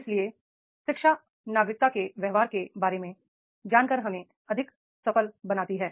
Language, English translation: Hindi, So, therefore, education makes us the more successful by knowing about the citizenship behavior